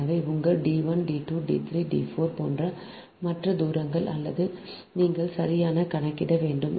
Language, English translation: Tamil, so all other distances, like your, d one, d two, d three, d four, or you have to compute right